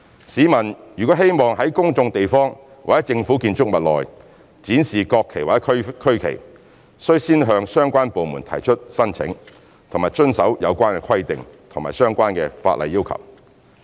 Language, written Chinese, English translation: Cantonese, 市民如希望在公眾地方或政府建築物內展示國旗或區旗，須先向相關部門提出申請和遵守有關規定及相關法例要求。, Members of the public who wish to display the national flag or regional flag in public places or inside Government buildings shall first submit applications to the departments concerned and comply with the requirements stipulated in relevant regulations and ordinances